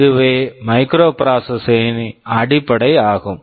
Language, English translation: Tamil, This is what a microprocessor basically is